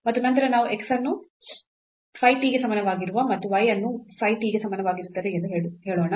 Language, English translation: Kannada, So, x is a function of a phi t and here y is also a function of t which we are denoting by psi t